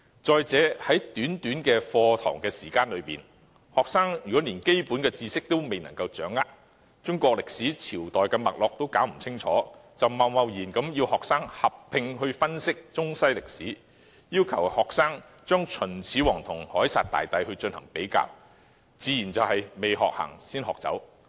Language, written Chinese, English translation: Cantonese, 在短短的課堂時間內，如果學生連基本的知識都未能掌握，歷史上各個朝代的脈絡都弄不清楚，就貿然要學生合併分析中西歷史，或把秦始皇與凱撒大帝作比較，自然是"未學行，先學走"。, Within the limited lesson time if students have difficulties in grasping the basic knowledge failing to understand the rise and fall of various Chinese dynasties and yet we ask them to analyse Chinese history and world history from an integrated perspective or compare Qin Shi Huang with Julius Caesar it is no different from asking them to run before they learn to walk